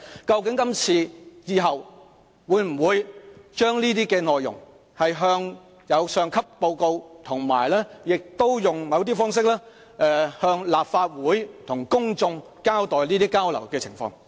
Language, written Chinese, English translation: Cantonese, 究竟今次或以後會否將相關的內容向上級報告，以及用某種方式透過立法會向公眾交代交流的情況？, Will the officials report the contents of this meeting or future meetings to the higher authorities and disclose the exchanges to the public through various means in the Legislative Council?